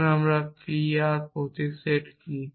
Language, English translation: Bengali, Let us say this is p r something some symbol what is the set